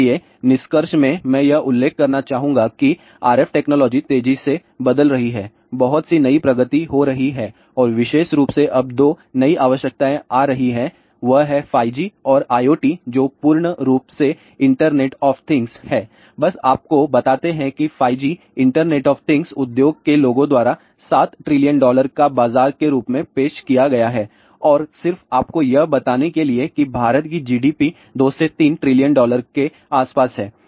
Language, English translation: Hindi, So, in conclusion I would like to mention that RF technology is rapidly changing lots of new advances are happening and specially now with the new 2 requirements which are coming up and that is 5G and IoT which full form is Internet of Things, ah just you tell you that 5G internet of things has been projected by the industry people as 7 trillion dollar market, ok and just to tell you that as of now, India's GDP is around 2 to 3 trillion dollar